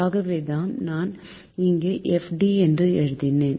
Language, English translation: Tamil, so thats why i have made fd